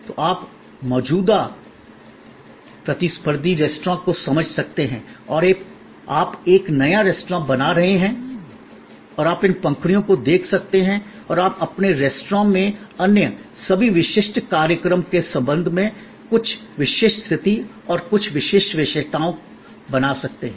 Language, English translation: Hindi, So, you can understand the existing competitive restaurants and you are creating a new restaurant and you can look into these petals and you can create certain distinctive positions and certain differentiating features in your restaurant with respect to all the other existing this shows